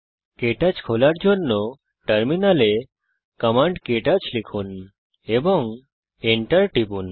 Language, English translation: Bengali, To open KTouch, in the Terminal, type the command: ktouch and press Enter